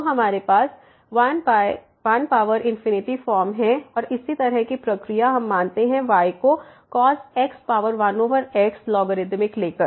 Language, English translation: Hindi, So, we have 1 power infinity form and the similar process we assume as power 1 over take the logarithmic